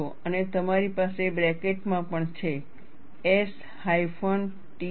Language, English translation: Gujarati, And you also have within brackets, S hyphen T